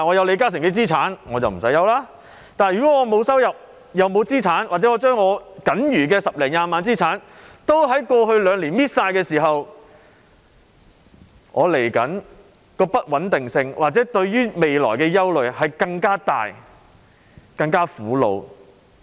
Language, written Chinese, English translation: Cantonese, 可是，如果我既沒有收入，又沒有資產，或我僅餘的十多二十萬元資產已在過去兩年耗盡，我面對的不穩定性，我對未來的憂慮便更大、更苦惱。, Yet if I have neither income nor assets or if my remaining assets of 100,000 to 200,000 have been used up in the past two years the uncertainty I am facing will deepen my worry and anxiety about my future